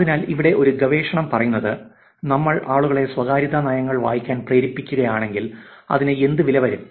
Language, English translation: Malayalam, So, here is one piece of work which says, if we were to make people read privacy policies, what it would it cost